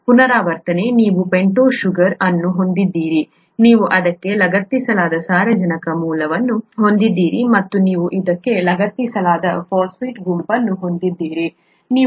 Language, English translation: Kannada, Repeating; you have a pentose sugar, you have a nitrogenous base that is attached to this, and you have a phosphate group attached to this